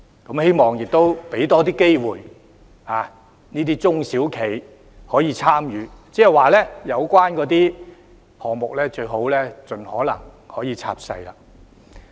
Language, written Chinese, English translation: Cantonese, 我希望也多給予中小型企業參與的機會，即有關項目宜盡可能拆細。, I hope that more opportunities for participation are provided to small and medium enterprises namely by breaking down the relevant projects in to smaller ones as far as possible